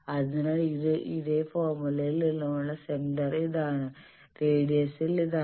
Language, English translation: Malayalam, So this is the center from that same formula and radius is this